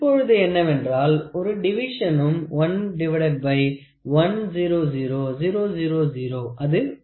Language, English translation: Tamil, So, that is 110 in to 100000 which is 0